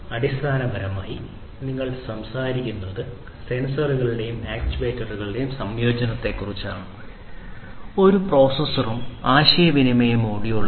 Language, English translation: Malayalam, So, here basically you are talking about integration of sensors and actuators, with a processor and a communication module